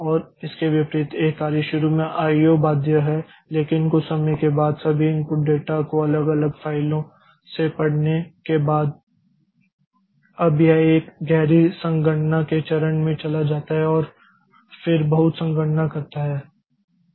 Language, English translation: Hindi, bound but after some time after getting all the, after reading all the input data from different files, now it goes into a deep computation phase and then where it does lots of computation